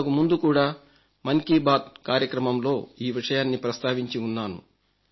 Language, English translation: Telugu, I have already mentioned this in the previous sessions of Mann Ki Baat